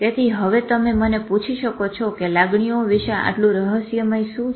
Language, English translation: Gujarati, So now you can ask me whether, so what is the so mysterious about emotions